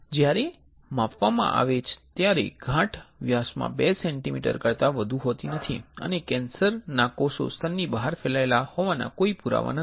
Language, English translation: Gujarati, When measured the tumor is no more than 2 centimetres in diameter and there is no evidence that the cancer cells have spread beyond the breast